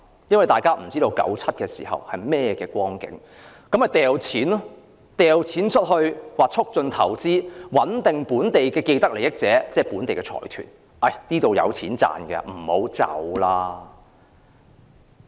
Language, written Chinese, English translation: Cantonese, 由於大家都不知道1997年會是甚麼光景，所以政府便大灑金錢促進投資，穩定本地的既得利益者，即本地財團，令它們留下來繼續賺錢。, Since no one knew what would happen in 1997 the Government thus spent a considerable sum of money to promote investment to boost the confidence of local people with vested interests that is local consortia so that they would stay and continue to make money here